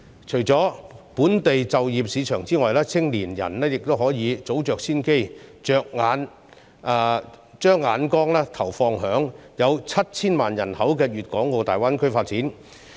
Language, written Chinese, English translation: Cantonese, 除了本地就業市場外，青年人亦可以早着先機，把眼光投放於有 7,000 萬人口的粵港澳大灣區發展。, Apart from the local job market young people may also act swiftly to grasp the opportunity and set their eyes on the development in the Guangdong - Hong Kong - Macao Greater Bay Area with a population of 70 million